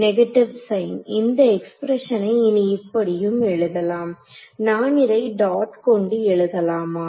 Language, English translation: Tamil, Negative sign; so, this expression can also be written as; Can I write it like this dot